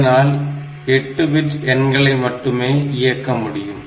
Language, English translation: Tamil, So, it means that it can operate on 8 bit values